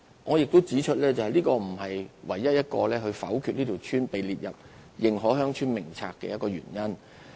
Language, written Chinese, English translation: Cantonese, 我亦要指出，這並不是唯一一個否決一條村被列入《認可鄉村名冊》的原因。, Also I wish to point out that this is not the sole reason for rejecting to include a village in the List of Established Villages